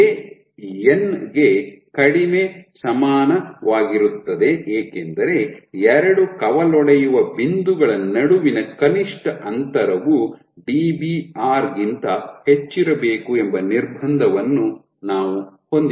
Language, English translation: Kannada, Why j is less equal to n because we have the constraint that minimum distance between two branching points minimum distances to branching points has to be greater than Dbr